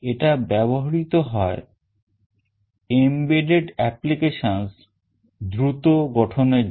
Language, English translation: Bengali, It is used for fast development of embedded applications